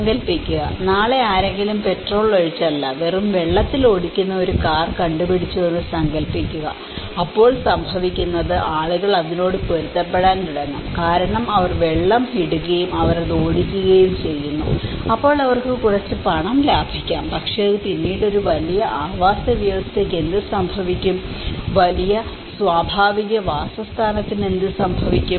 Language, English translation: Malayalam, Imagine, someone has invented tomorrow a car driven with just water, not with petrol, so what happens people will start adapting because they keep putting water on it and they keep driving it, then they can save a little bit more money but then what happens to a larger ecosystem, what happens to the larger habitat